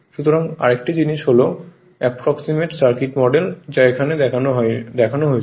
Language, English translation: Bengali, So, another thing is the approximate circuit model approximate circuit model is shown like this